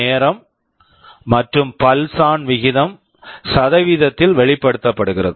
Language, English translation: Tamil, It is the proportion of time the pulse is ON expressed as a percentage